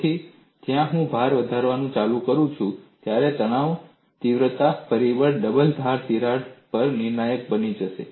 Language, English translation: Gujarati, So, when I keep increasing the load, the stress intensity factor would become critical at the double edge crack